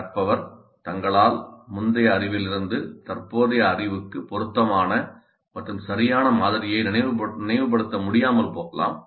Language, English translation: Tamil, By themselves, learners may not be able to recollect a proper model, proper model from the earlier knowledge which is relevant and appropriate for the current knowledge